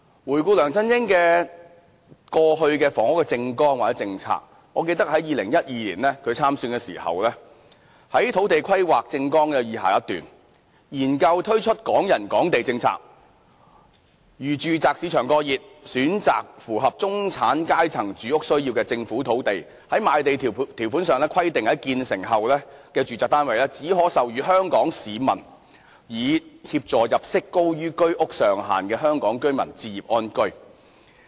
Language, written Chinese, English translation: Cantonese, 回顧梁振英過去的房屋政綱或政策，我記得他在2012年參選時，政綱中就土地規劃有這樣一段："研究推出'港人港地'政策，如住宅市場過熱，選擇符合中產階層住屋需要的政府土地，在賣地條款中規定在建成後的住宅單位，只可出售予香港居民，以協助入息高於居屋上限的香港居民置業安居。, In regard to the housing policy platform of LEUNG Chun - ying or his housing policies in the past I recall that when he ran the election in 2012 there was such a paragraph in his policy platform on land planning We will study the introduction of a Hong Kong property for Hong Kong residents policy to assist those home buyers whose income exceed the limits prescribed by the Home Ownership Scheme . Under the proposed policy new sites will be selected which are suitable for middle - class housing and in the relevant land lease a restriction will be included to the effect that the completed housing units can only be sold to Hong Kong residents